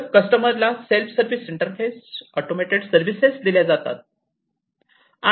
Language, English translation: Marathi, So, you know the customers are provided, self service interfaces, automated services and so on